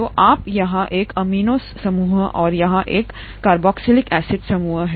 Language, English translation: Hindi, So you have an amino group here and a carboxylic acid group here